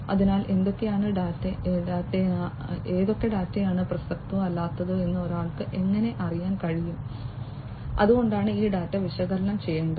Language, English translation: Malayalam, So, how can one know which data are relevant and which are not, so that is why this data will have to be analyzed